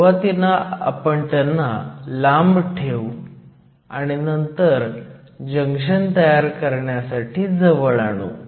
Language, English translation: Marathi, So, we will first put them far apart and then bring them together to form the junction